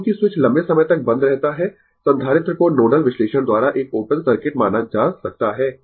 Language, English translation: Hindi, Now, as the switch remains closed for long time, capacitor can be considered to be an open circuit by nodal analysis